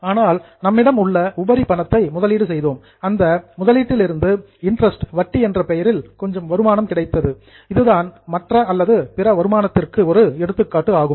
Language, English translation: Tamil, But from our surplus money we invested, we got some income from that investment in the form of interest, then it is an example of other income